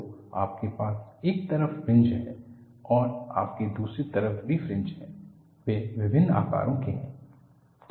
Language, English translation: Hindi, So, you have fringe on this side and you have fringe on the other side; they are of different sizes